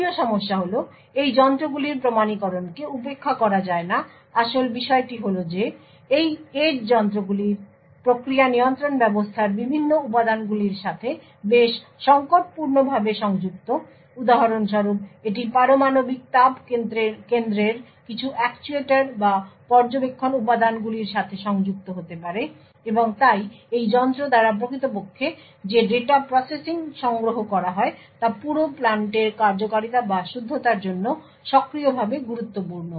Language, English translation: Bengali, The 2nd issue is that authentication of these devices cannot be ignored, the fact is that these edge devices are quite critically connected to various components of process control system it could for example be connected to some of the actuators or monitoring elements in nuclear thermal plants, and therefore the data processing which is actually collected by this device is actively important for the functioning or the correctness of the entire plant